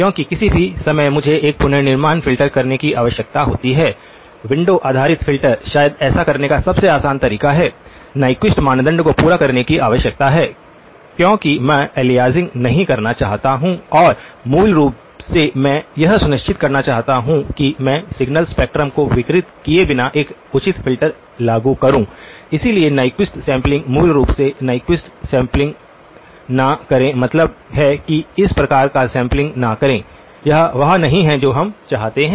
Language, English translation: Hindi, Because any time I need to do a reconstruction filter, the windowing based filter is probably the easiest way to do that, need to over satisfy the Nyquist criterion, why because the I do not want aliasing and basically I want to make sure that I can apply a proper filter without distorting the signal spectrum, so do not do the Nyquist sampling basically with Nyquist sampling means that do not do this type of sampling, this is not what we want